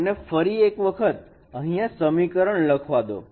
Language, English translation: Gujarati, So let me give you the, let me write the equation once again